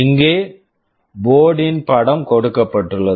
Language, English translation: Tamil, Here you have a picture of the board